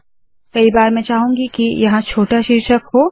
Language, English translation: Hindi, Sometimes I may want to have a smaller title here